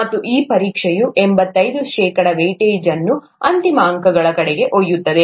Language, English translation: Kannada, And this exam would carry eighty five percent weight toward the final marks